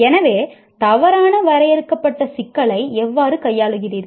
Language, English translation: Tamil, So how do you handle an ill defined problem